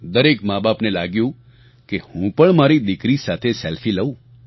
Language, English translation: Gujarati, Every parent started feeling that they should take a selfie with their daughter